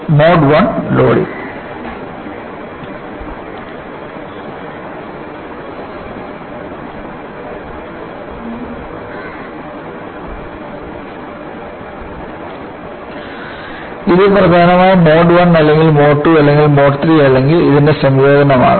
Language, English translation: Malayalam, It may be predominantly Mode I or predominantly Mode II or predominantly Mode II or a combination of this